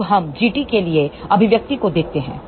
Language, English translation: Hindi, Now, let us look at the expression for G t